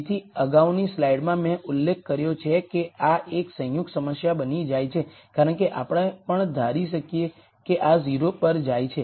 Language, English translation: Gujarati, So, in one of the previous slides I had mentioned that this becomes a combinatorial problem because we could also assume that this goes to 0